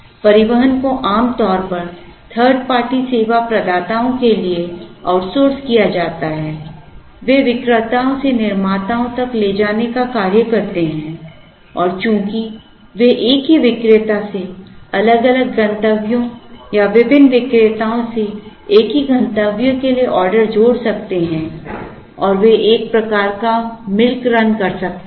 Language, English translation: Hindi, The transportation is usually outsourced to 3rd party service providers, take up the task of transporting from vendors to the manufacturers and since, they can combine orders from the same vendor to different destinations or from different vendors to the same destination and they can do some kind of a milk run and so on